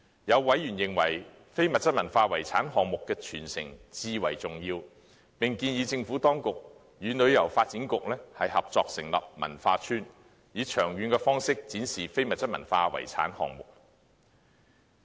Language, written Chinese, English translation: Cantonese, 有委員認為非物質文化遺產項目的傳承至為重要，並建議政府當局與香港旅遊發展局合作成立文化邨，以長遠方式展示非物質文化遺產項目。, Some members considered that the transmission of the intangible cultural heritage items was most important and suggested that the Government might collaborate with the Tourism Board in establishing a cultural estate to showcase these items on a long - term basis